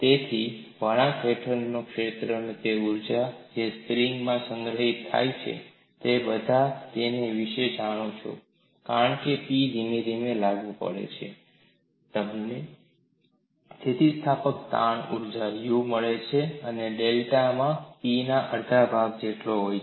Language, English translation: Gujarati, So, the area under the curve is what is the energy that is stored within the spring, you all know about it because, P is applied gradually, you find elastic strain energy U equal to 1 half of P into delta